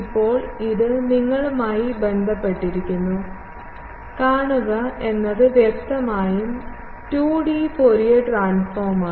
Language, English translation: Malayalam, Now, this relation you see is clearly a 2D Fourier transform relation